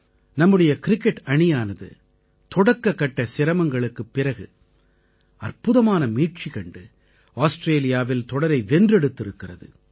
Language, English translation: Tamil, Our cricket team, after initial setbacks made a grand comeback, winning the series in Australia